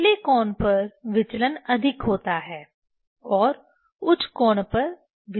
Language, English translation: Hindi, at the at the lower angle divergence is more and at the higher angle divergence is less